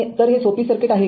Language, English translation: Marathi, So, is a simple circuit